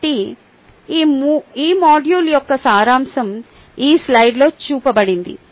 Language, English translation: Telugu, so the summary of this module is shown in this slide